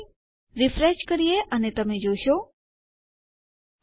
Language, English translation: Gujarati, So, lets refresh and you can see oh.